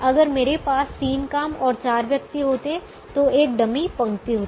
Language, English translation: Hindi, if i had three jobs and four persons, then they there'll be a dummy row